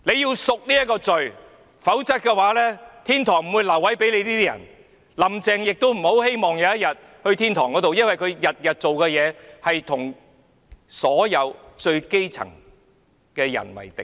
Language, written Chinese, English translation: Cantonese, 他們要贖罪，否則天堂不會留位給他們，"林鄭"亦不要希望有天會上天堂，因為她天天做的事是與所有最基層的人為敵。, They have to redeem their sins otherwise they will not be guaranteed a place in heaven . Carrie LAM can stop hoping that she will go to heaven someday because her daily deeds antagonize all those in the lowest stratum